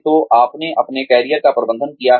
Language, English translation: Hindi, So, you have managed your career